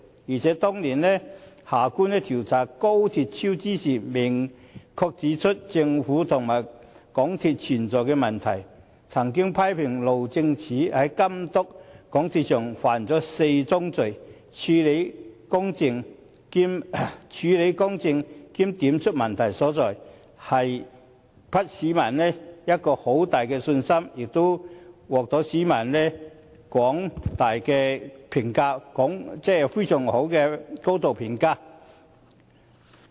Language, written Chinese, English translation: Cantonese, 而且，當年夏官調查廣深港高鐵香港段工程超支時，明確指出政府和港鐵公司問題所在，批評路政署在監督港鐵公司上犯了4宗罪，處事公正並指出問題所在，給予市民很大的信心，亦獲廣大市民高度評價。, Furthermore when inquiring into the project cost overruns of the Hong Kong Section of the Guangzhou - Shenzhen - Hong Kong Express Rail Link years back Mr Justice Michael John HARTMANN explicitly pointed out the problems with the Government and MTRCL criticizing the Highways Department for committing four mistakes in monitoring MTRCL . As he had dealt with the matter in an impartial manner and pointed out the problems he gave people great confidence and won accolades from the general public